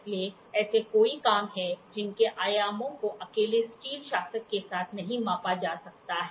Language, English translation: Hindi, So, there are many jobs whose dimensions cannot be accurately measured with steel ruler alone